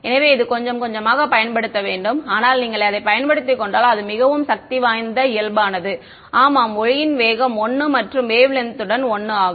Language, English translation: Tamil, So, it takes a little getting used, but once you get to used it is very powerful everything is normal yeah speed of light is 1 wave length is 1